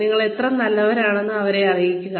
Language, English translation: Malayalam, Let them know, how good you are